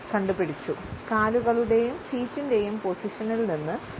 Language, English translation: Malayalam, You got it, by the position of their legs and feet